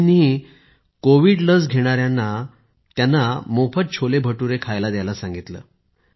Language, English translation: Marathi, Both requested him to feed cholebhature for free to those who had got the COVID Vaccine